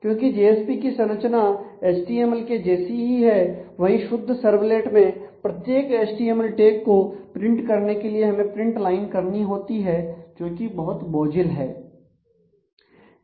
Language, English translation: Hindi, Because JSP has the structure of the HTML page whereas, in a pure servlet we will have to use print line to print every tag of the HTML which is cumbersome